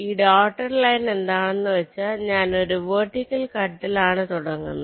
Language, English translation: Malayalam, so here these dotted line means i am starting with a vertical cut and in fact, this is the best vertical cut